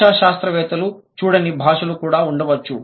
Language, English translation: Telugu, There could be languages which the linguists haven't come across with